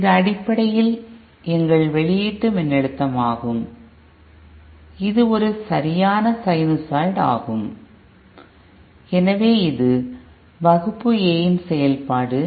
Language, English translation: Tamil, And this is basically our output voltage which is also a perfect sinusoid, so this is the Class A operation